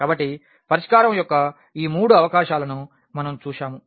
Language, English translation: Telugu, So, we have see in these 3 possibilities of the solution